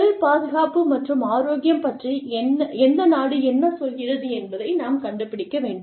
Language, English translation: Tamil, We need to find out, where, which country says, what about occupational safety and health